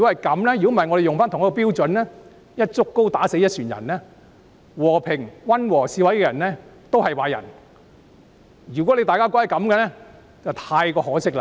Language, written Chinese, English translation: Cantonese, 否則，如果以同一標準對待他們，把和平、溫和的示威人士也視作壞人，那就太可惜了。, It would be a great shame if peaceful and moderate protesters too are seen as villains and treated with the same standard